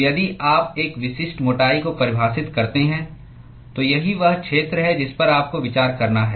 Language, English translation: Hindi, So, if you define a specific thickness, then that is the area that you have to consider